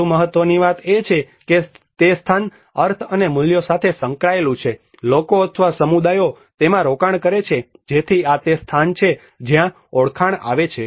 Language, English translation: Gujarati, More importantly, the place is associated with the meanings and the values that the people or the communities invest in them so this is where the identity comes in